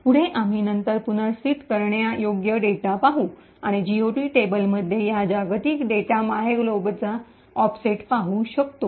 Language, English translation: Marathi, Further, we can then look at the relocatable data and see the offset of this global data myglob in the GOT table